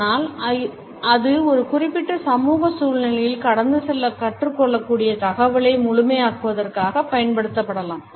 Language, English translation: Tamil, But it can also be used in an intentional manner in order to complement the communication it can also be learnt to pass on in a particular social situation